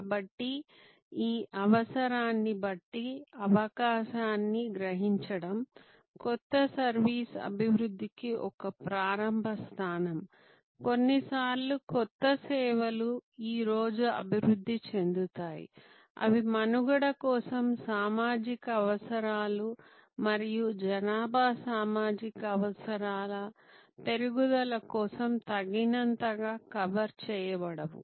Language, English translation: Telugu, So, sensing this need based opportunity is a starting point of new service development sometimes new services are these develop today stimulated by social needs for survival and growth of population social needs that are not adequate covered